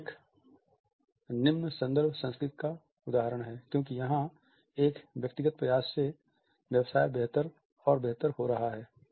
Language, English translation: Hindi, Here is an example of a low context culture, because of a personal effort business is doing better and better